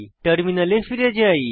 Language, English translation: Bengali, Switch back to our terminal